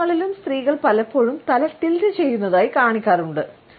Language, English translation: Malayalam, Women are often also shown in advertisements tilting their heads